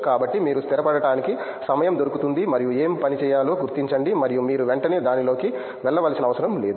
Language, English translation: Telugu, So, you do get time to settle in and figure out what to work on and you don’t have to jump into it right away